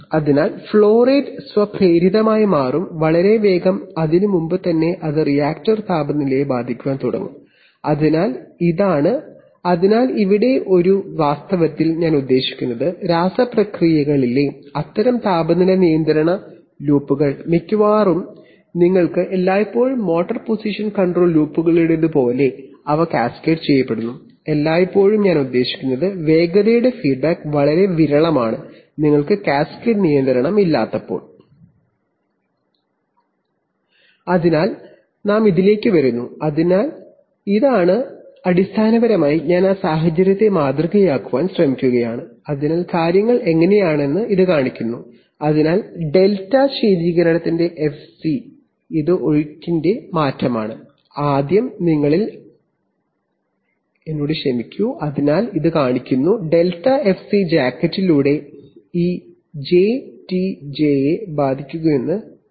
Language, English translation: Malayalam, And therefore the flow rate will automatically get changed, very quickly, even before that it can start affecting the reactor temperature, so this is a, so here is a, here in fact, I mean, such temperature control loops in chemical processes are almost without exception there they are cascaded just like in motor position control loops you always, always have a, I mean, have a velocity feedback is very rare, when you do not have cascade control